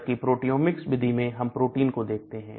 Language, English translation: Hindi, Whereas in a proteomics approach we are looking at the proteins